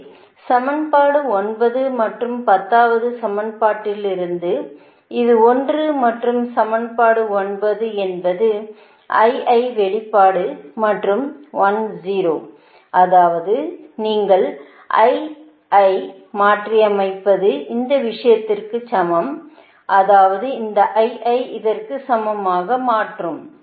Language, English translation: Tamil, so from equation nine and ten from equation this one and this one, equation nine is i i expression and ten that means you substitute this: i i is equal to this thing, your, this equa[tion] i mean this: i i is equal to equate with this one